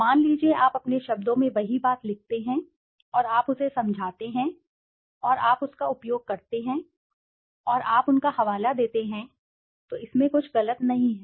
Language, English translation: Hindi, Suppose, you write the same thing in your own words and you explain it and you use it, and you cite them then there is nothing wrong in that